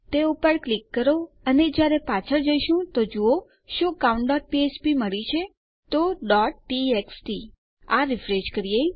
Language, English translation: Gujarati, Click on that and when we go back see if weve got count.php So, .txt So, lets refresh this